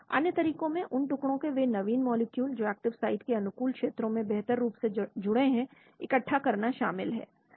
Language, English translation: Hindi, Other methods consist of assembling novel molecules from pieces that are positioned optimally in favorable regions of the active site